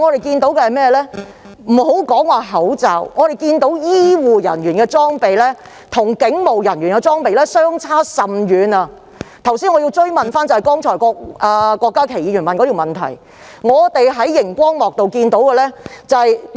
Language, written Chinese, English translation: Cantonese, 撇開口罩不說，我們看到醫護人員的防護裝備與警務人員實在相差甚遠，所以我想跟進郭家麒議員剛才提出的補充質詢。, Let us leave aside the face mask issue . Noting the huge differences between PPE worn by health care staff and police officers I wish to follow up on the supplementary question just raised by Dr KWOK Ka - ki